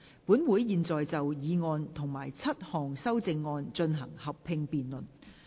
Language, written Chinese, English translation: Cantonese, 本會現在就議案及7項修正案進行合併辯論。, This Council will now proceed to a joint debate on the motion and the seven amendments